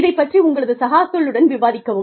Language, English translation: Tamil, Do discuss this, with your peers